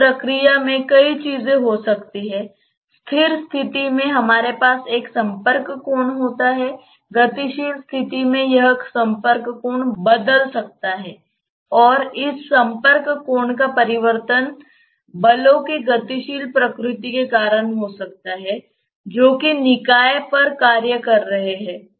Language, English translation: Hindi, In the process there may be many things, in the static condition we have a contact angle, in the dynamic condition this contact angle may change and the change of this contact angle may be because of the dynamic nature of the forces which are acting on the system